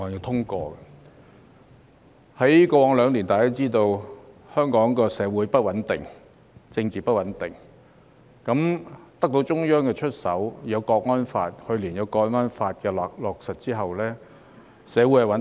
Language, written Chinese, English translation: Cantonese, 在過去兩年，大家也知道香港社會不穩定、政治不穩定。在得到中央出手後，去年有《香港國安法》的落實，社會便穩定了。, As we all know Hong Kong was once plunged into social and political instability in the past two years but after the Central Authorities have stepped in and enacted the Hong Kong National Security Law for implementation last year society has regained stability